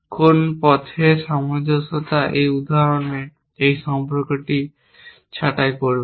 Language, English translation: Bengali, What path consistency would do, would to prune this relation in this example